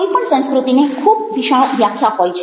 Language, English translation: Gujarati, any ah culture is as a very wide definition